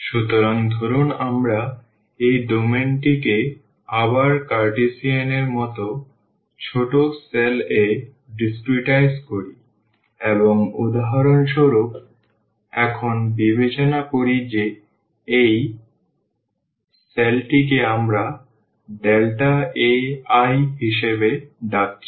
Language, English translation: Bengali, So, suppose we discretize this domain again as similar to the Cartesian one into smaller cells, and let us consider for instance here this cell which we are calling has delta A i